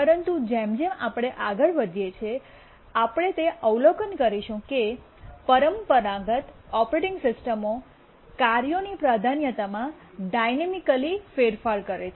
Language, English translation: Gujarati, but as you will see that the traditional operating systems change the priority of tasks dynamically